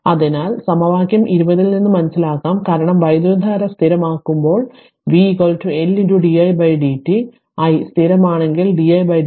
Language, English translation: Malayalam, So, it can be noted from equation 20 that when the current is constant because, v is equal to L into di by dt, if i is constant then di by dt is equal to 0 right